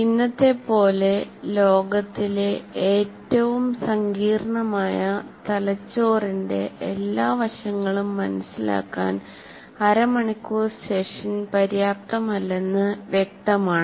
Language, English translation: Malayalam, Obviously, half an hour is not sufficient to understand the all aspects of the brain, which is the most complex, what do you call, a most complex thing in the world as of today